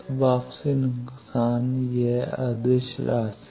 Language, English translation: Hindi, So, return loss it is a scalar quantity